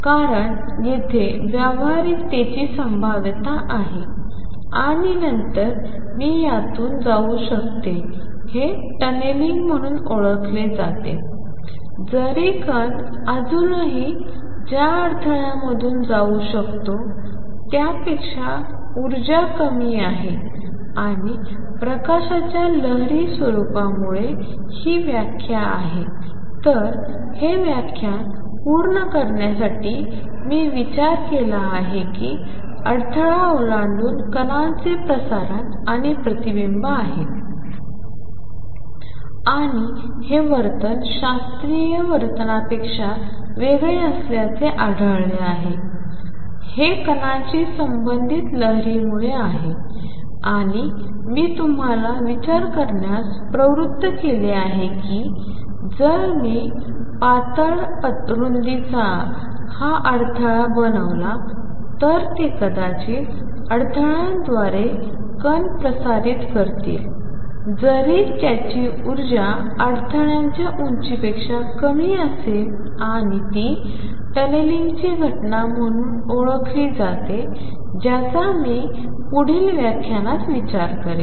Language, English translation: Marathi, Because is the probability of practicality here and then it can go through this is known as tunneling even if energy is lower than the barrier the particle can still go through and this is a quantum phenomena because of the wave nature of light to conclude this lecture what we have considered is transmission and reflection of a particle across a barrier and found the behavior to be different from classical behavior and this is because of the wave associated with a particle and I have motivated you to think that if I make this barrier of thin width they maybe particle transmitting through a barrier even if its energy is lower than the barrier height and that is known as the phenomena of tunneling which I will consider in the next lecture